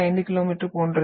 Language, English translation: Tamil, 5 km per second